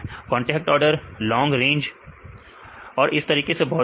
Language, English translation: Hindi, Contact order, long range and so on right